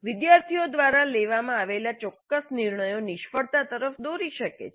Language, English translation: Gujarati, Specific decisions made by the students may lead to failures